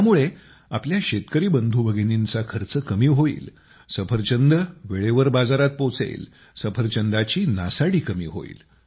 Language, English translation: Marathi, This will reduce the expenditure of our farmer brothers and sisters apples will reach the market on time, there will be less wastage of apples